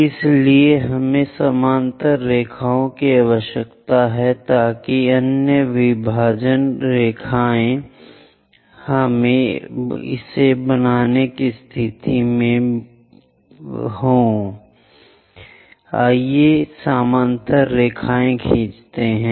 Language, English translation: Hindi, So, we need parallel lines so that other divisional lines, we will be in a position to construct it, draw parallel